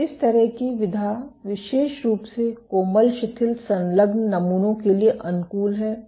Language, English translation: Hindi, So, this kind of mode is particularly suited for soft loosely attached samples